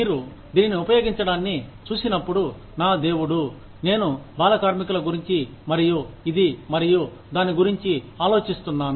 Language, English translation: Telugu, When you look at this, using, my god, I have been thinking about child labor, and this, and that